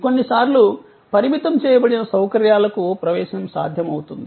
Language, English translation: Telugu, Sometimes, there are admission possible to restricted facilities